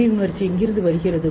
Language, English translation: Tamil, Where does the sudden emotion come from